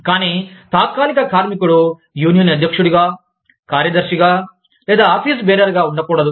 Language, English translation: Telugu, But, the temporary worker, cannot be the president, or the secretary, or an office bearer, of the union